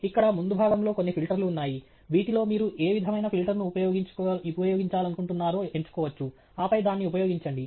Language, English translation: Telugu, Here there are some filters in the front, which you can select what kind of a filter you want to use, and then, use it